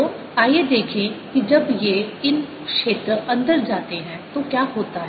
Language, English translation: Hindi, so let us see when these fields come in, what happens